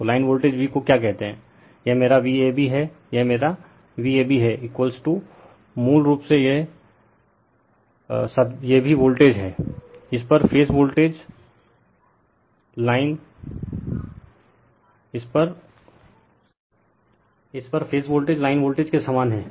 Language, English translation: Hindi, So, line voltage V what you call this is my V ab, this is my V ab is equal to basically this is also voltage across this is phase voltage same as the line voltage